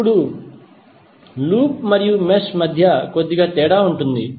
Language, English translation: Telugu, Now, there is a little difference between loop and mesh